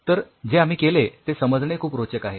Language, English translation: Marathi, So, the way it is being done is very interesting